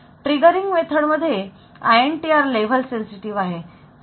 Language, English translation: Marathi, Triggering method so this is INTR is level sensitive 5